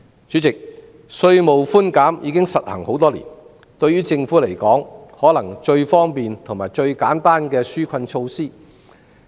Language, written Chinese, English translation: Cantonese, 主席，稅務寬免已實行多年，可能是對於政府而言最方便和最簡單的紓困措施。, President tax concessions have been implemented for years which in the eyes of the Government may be the most convenient and straightforward relief measure